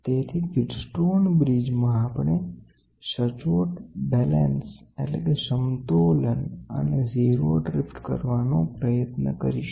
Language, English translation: Gujarati, So, in the wheat stone bridge, we try to do proper balancing and 0 drift all these things